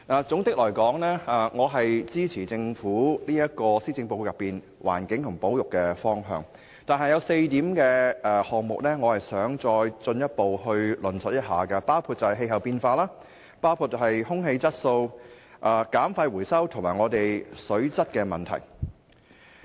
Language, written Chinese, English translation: Cantonese, 整體來說，我支持政府在施政報告內有關環境和保育等議題的方向，但我想再進一步論述4個項目，包括氣候變化、空氣質素、減廢回收和水質問題。, Overall I agree to the general direction in the Governments Policy Address relating to subjects like the environment and conservation etc . However I would like to further talk about four subjects including climate change air quality waste reduction and recycling and water quality